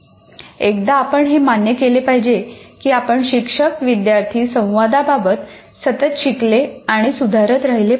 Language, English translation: Marathi, Once you accept that, as a teacher, we will continue to learn or improve upon this teacher student interaction